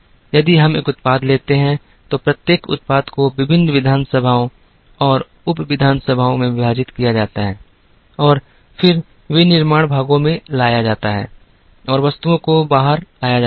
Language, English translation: Hindi, If we take a product,each product is then split into various assemblies and sub assemblies and then, into manufacturing parts and brought out items